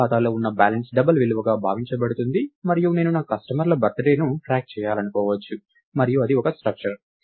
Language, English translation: Telugu, And the balance that you have in the account is supposed to be a double value and I may want to track the birthday of my customers and that in turn is a structure